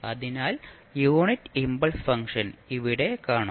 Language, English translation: Malayalam, So, you will see the unit impulse function here